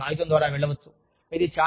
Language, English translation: Telugu, And, you can go through this paper